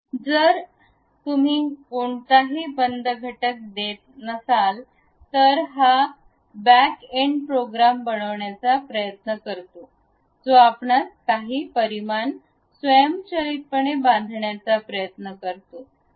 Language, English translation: Marathi, So, if you are not giving any closed entities, it try to have this back end program which automatically assumes certain dimensions try to construct this